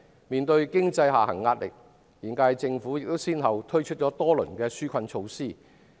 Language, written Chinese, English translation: Cantonese, 面對經濟下行壓力，現屆政府亦先後推出多輪紓困措施。, Faced with the pressure from an economic downturn the current HKSAR Government has also launched several rounds of relief measures